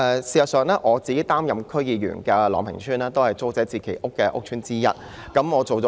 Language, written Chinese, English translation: Cantonese, 事實上，我擔任區議員的朗屏邨亦是租置計劃的屋邨之一。, As a matter of fact Long Ping Estate where I serve as a District Council member is one of the TPS estates